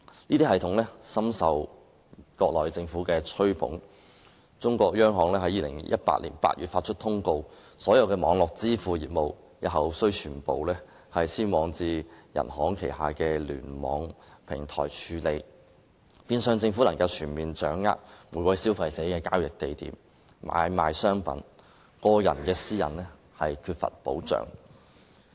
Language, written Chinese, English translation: Cantonese, 這些系統深受國內政府吹捧，中國央行更於2018年8月發出通告，所有網絡支付業務日後須全部改由中國央行旗下的聯網平台處理，政府因此變相能夠全面掌握與消費者交易地點和買賣商品有關的資訊，個人私隱因而更缺乏保障。, Not only has the significance of these systems been inflated by the Mainland Government the Peoples Bank of China even issued a circular in August 2018 requiring all online payment businesses to be dealt with by the Internet platform under the Peoples Bank of China in future . This will indirectly enable the Government to gain a full understanding of the information related to places of transactions of consumers and the trading of commodities